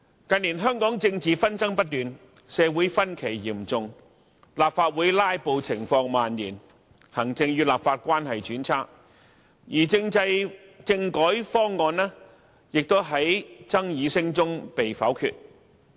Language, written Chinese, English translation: Cantonese, 近年香港政治紛爭不斷，社會分歧嚴重，立法會"拉布"情況蔓延，行政與立法關係轉差，而政制、政改方案亦在爭議聲中被否決。, Hong Kong in recent years has been marked by incessant political disputes serious social division rampant filibuster in the Legislative Council and a worsening relationship between the executive and the legislature . The constitutional reform proposals were voted down in the midst of bickering